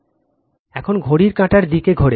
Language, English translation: Bengali, Now, rotor rotates in the clockwise direction